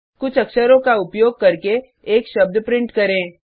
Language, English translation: Hindi, Let us print a word using a few characters